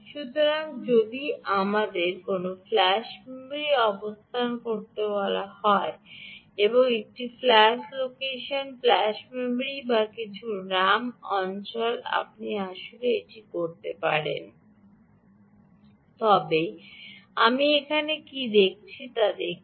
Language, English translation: Bengali, so if there is, let us say, a flash memory location, either a flash location, flash memory, or if some ram area, right, ah, you can actually ah also do that